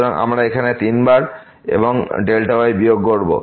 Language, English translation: Bengali, So, we will have here 3 times and the delta minus